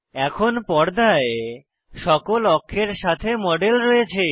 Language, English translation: Bengali, We now have the model on screen with all the axes